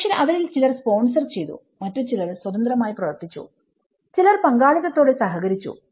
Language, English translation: Malayalam, But at least some of them they sponsored it, some of them they worked independently, some of them they collaborated with partnerships